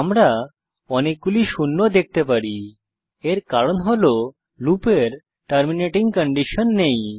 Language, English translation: Bengali, We can see number of zeros, this is because the loop does not have the terminating condition